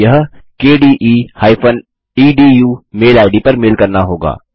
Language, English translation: Hindi, No You will have to mail it to the kde edu mailing id